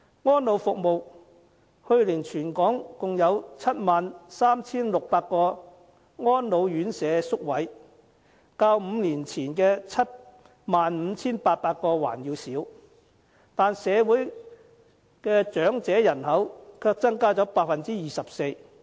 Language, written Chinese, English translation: Cantonese, 在安老服務上，去年全港共有 73,600 個安老院舍宿位，較5年前的 75,800 個還要少，但社會長者人口卻增加了 24%。, Regarding elderly services there were 73 600 residential care places for the elderly in Hong Kong last year which was even less than the 75 800 places five years ago . But the elderly population has increased by 24 %